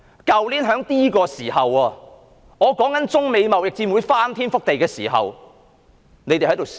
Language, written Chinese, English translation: Cantonese, 去年這個時候，我談及中美貿易戰會翻天覆地，大家在笑......, At this time last year I said that the trade war between China and the United States would be earthshaking and Members laughed